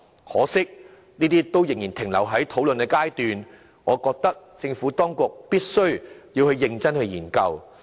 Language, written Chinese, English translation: Cantonese, 可惜，建議仍然停留在討論階段，我認為政府當局必須認真研究。, Regrettably such a recommendation is still under discussion . I think the administration should study it seriously